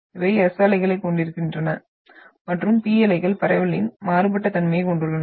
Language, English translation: Tamil, So these are having the S waves and P waves are having very different nature of propagation